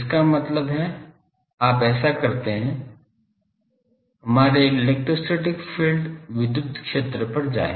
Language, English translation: Hindi, That means, you do this go to our electrostatic field electric field